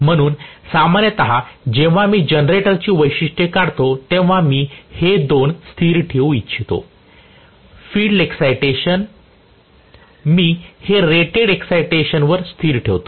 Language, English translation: Marathi, So, generally when I draw the generator characteristics I would like to keep this 2 as a constant, the field excitation I would keep as a constant at rated excitation